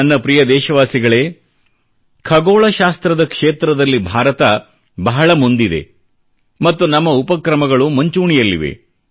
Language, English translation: Kannada, My dear countrymen, India is quite advanced in the field of astronomy, and we have taken pathbreaking initiatives in this field